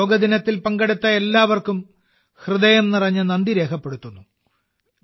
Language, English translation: Malayalam, I express my heartfelt gratitude to all the friends who participated on Yoga Day